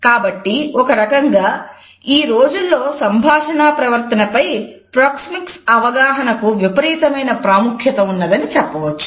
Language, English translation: Telugu, So, in a way we can say that the proxemic understanding has an over reaching significance in our today’s communicating behavior